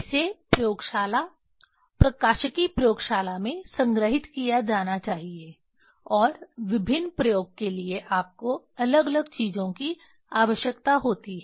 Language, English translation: Hindi, It should be stored in the laboratory optics laboratory and for the different experiment you need different things